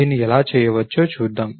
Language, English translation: Telugu, Let us see, how this can be done